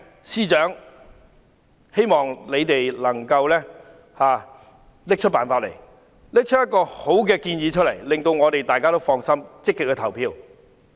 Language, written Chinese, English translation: Cantonese, 司長，我希望你能夠拿出辦法，提出一個好建議，令大家能夠放心，積極投票。, Chief Secretary I hope that you can find a way and come up with a good proposal so that we can actively go to vote without any worry